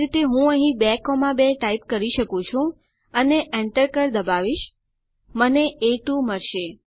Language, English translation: Gujarati, Similarly I can type in here 2.2 and press enter I get A2